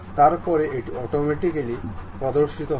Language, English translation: Bengali, Then it will automatically show